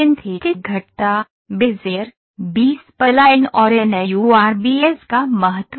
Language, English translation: Hindi, importance of synthetic curves, Bezier, B spline, NURBS